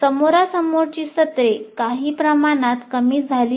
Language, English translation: Marathi, The face to face sessions are somewhat reduced